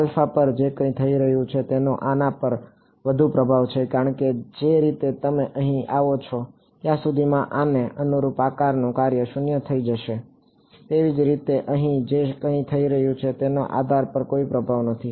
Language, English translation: Gujarati, Whatever is happening at alpha has more influence on this because the way the shape function corresponding to this becomes 0 by the time you come over here, similarly whatever is happening over here has no influence on this